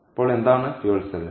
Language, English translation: Malayalam, so what is the fuel cell